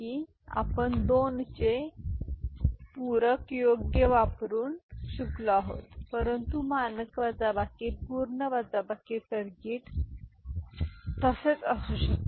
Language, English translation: Marathi, Subtraction we have learnt using 2’s complement right, but we can have standard subtractor, full subtractor circuit as well ok